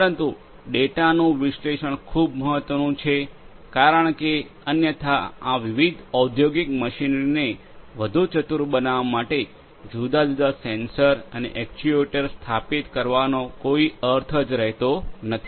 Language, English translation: Gujarati, But, the analysis of the data is very important because otherwise there is no point in installing different sensors and actuators to make these different industrial machinery smarter